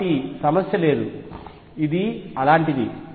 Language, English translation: Telugu, So, there is no problem, this is like that